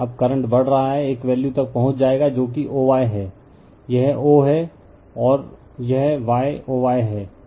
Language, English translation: Hindi, Now, current is increasing, you will reach a value that value that is o y, this is o, and this is your y, o y right